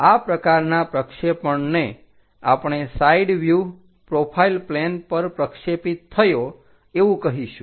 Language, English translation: Gujarati, This kind of projection what we will call side view projected on to profile plane